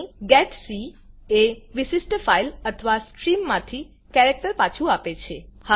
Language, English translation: Gujarati, Here, getc returns a character from a specified file or stream